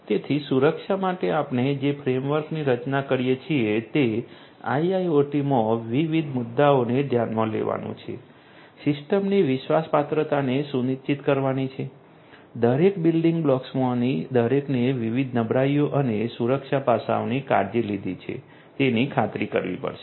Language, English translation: Gujarati, So, the framework that we come up with for security has to address different issues in IIoT, has to ensure trustworthiness of the system, has to ensure that each of the individual building blocks have taken care of the different vulnerabilities and the security aspects